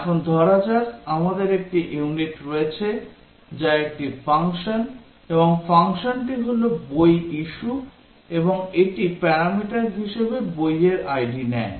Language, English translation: Bengali, Now let's say, we have a unit which is a function, and the function is issue book and the parameter it takes book id